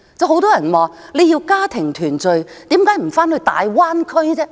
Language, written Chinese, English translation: Cantonese, 很多人說，要家庭團聚為何不回大灣區？, Many people ask Why do they not return to the Greater Bay Area for family reunion?